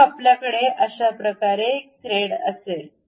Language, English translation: Marathi, Then, you will have a thread in this way